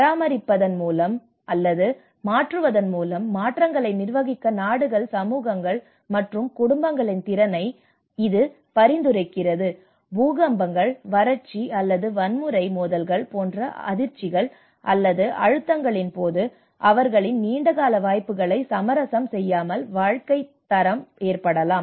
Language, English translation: Tamil, It says the ability of countries, communities, and households to manage change, by maintaining or transforming living standards in the face of shocks or stresses such as earthquakes, droughts or violent conflict without compromising their long term prospects